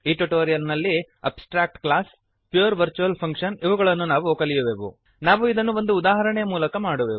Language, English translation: Kannada, In this tutorial we will learn, *Abstract Classes *Pure virtual function *We will do this through an example